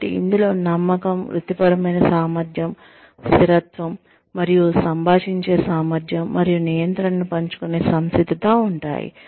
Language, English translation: Telugu, So, which could include, trust, professional competence, consistency, and the ability to communicate, and readiness to share control